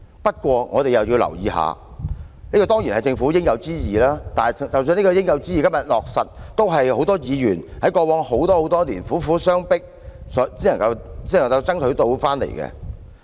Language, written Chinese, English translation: Cantonese, 不過，我們亦要留意，這些當然是政府應有之義，即使這些應有之義在今天得以落實，也是很多議員在過去多年來苦苦相迫才爭取到的結果。, They are indeed measures to benefit the peoples livelihood . However we must also note that these are of course the Governments obligations . Even if they are implemented today it is the result of many Members hard struggles over the years